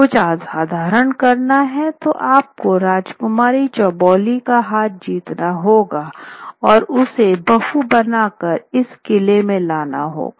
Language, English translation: Hindi, If you want to try something really extraordinary, you would have to win the hand of the Princess Chauuli and bring her home to this fort